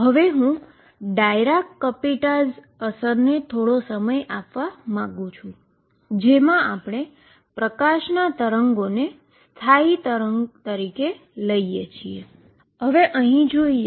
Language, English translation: Gujarati, Now having done that I also want to give some time to Dirac Kapitza effect in which what we said is that if I take a standing wave of light